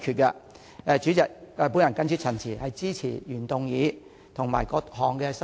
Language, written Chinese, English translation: Cantonese, 代理主席，我謹此陳辭，支持原議案及各項修正案。, With these remarks Deputy President I support the original motion and all the amendments